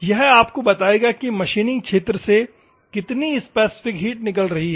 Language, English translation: Hindi, This also will give you how much specific heat is it is taking out from the machining region